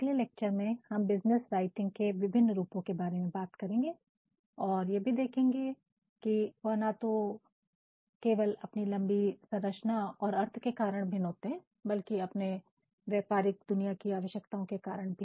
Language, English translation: Hindi, 8 In the next lecture, we shall be talking about the various forms of business writing and how they vary not only in length in structure and meaning and also in making us all becoming aware of what the business world needs